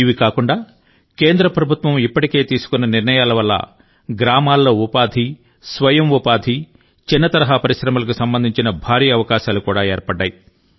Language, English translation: Telugu, Besides that, recent decisions taken by the Central government have opened up vast possibilities of village employment, self employment and small scale industry